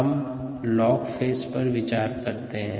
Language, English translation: Hindi, now let us consider the log phase alone